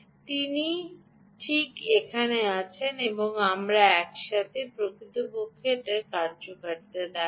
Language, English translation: Bengali, she is right here, and we will do it together and i will actually show you that this really works